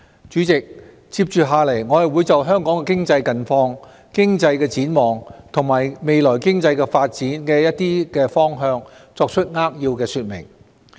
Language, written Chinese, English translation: Cantonese, 主席，接着下來，我會就香港的經濟近況、經濟展望和未來經濟發展的一些方向作扼要說明。, President in the following speech I will briefly talk about Hong Kongs latest economic situation economic outlook and some directions for economic development in the future